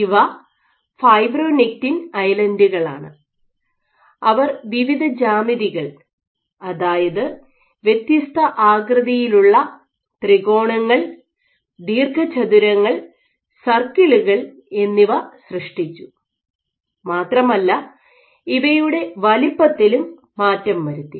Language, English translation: Malayalam, So, these are fibronectin islands and they generated various geometries different shapes triangles, rectangles and circles, and they also altered the sizes of these